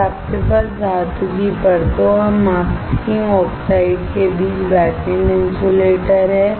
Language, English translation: Hindi, Then, you have backend insulators between metal layers and masking oxides